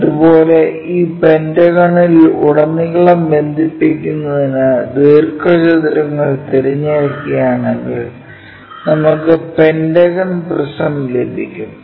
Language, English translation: Malayalam, Similarly, if we are picking rectangles connect them across this pentagon we get pentagonal prism